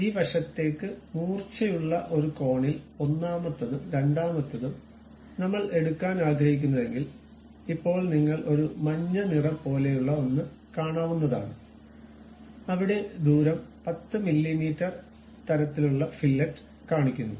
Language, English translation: Malayalam, For this side this side there is a sharp corner I would like to pick the first one here and the second one here and now you see something like a yellow color where radius is showing 10 mm kind of fillet